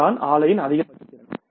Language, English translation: Tamil, That is a maximum capacity of the plant